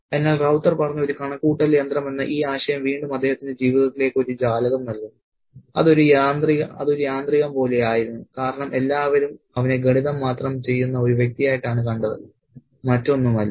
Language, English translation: Malayalam, So, again, this idea of being a mere adding machine spoken by Rauta gives us a window into his life which was sort of like a mechanical one because everybody saw him as just a person who does the math and nothing else